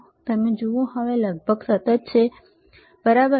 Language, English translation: Gujarati, If you see now is almost constant, right